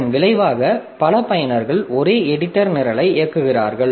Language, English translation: Tamil, So, as a result, multiple users are executing the same editor program